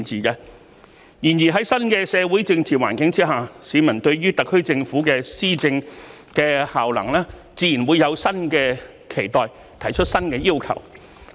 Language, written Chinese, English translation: Cantonese, 然而，在新的社會政治環境之下，市民對於特區政府的施政效能自然會有新的期待，提出新的要求。, However under the new social and political environment in terms of the effectiveness of the SAR Governments governance the public naturally will have new expectations and put forward new requirements